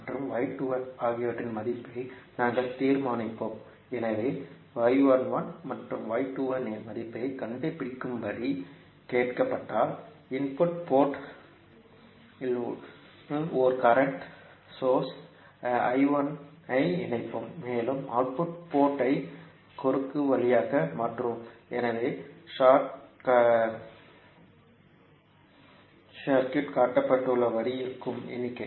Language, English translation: Tamil, We will determine the value of y 11 and y 21 so when you are asked to find the value of y 11 and y 21 we will connect one current source I 1 in the input port and we will short circuit the output port so the circuit will be as shown in the figure